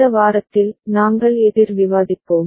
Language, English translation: Tamil, In this week, we shall discuss counter